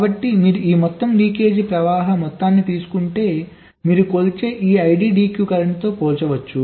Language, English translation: Telugu, so if you take this sum total of all the leakage currents, that becomes comparable with this iddq current which you are measuring